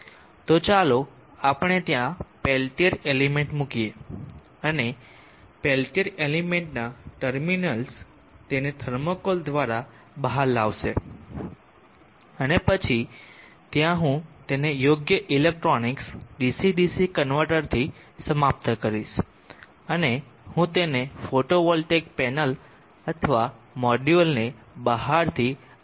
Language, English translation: Gujarati, So let us place a peltier element there, and the terminals of the peltier element will bring it out through the thermocol and then there I will terminate it with the appropriate electronics DC DC converter and I will power it up with photovoltaic panel of the module externally in this fashion